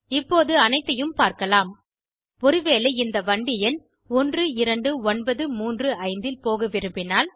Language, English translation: Tamil, So that we can see all of them, Suppose i want to go by this train number12935